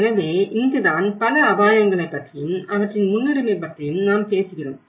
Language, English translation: Tamil, So, this is where we talk about, we have many risks but how to prioritize the list